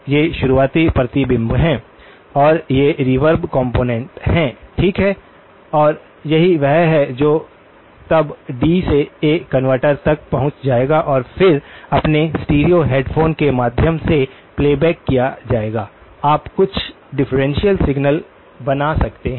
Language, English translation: Hindi, These are the early reflections, and these are the reverb components, okay and this is what will then get passed to a D to A converter and then played back through your stereo headphones of course, you can create some differential signal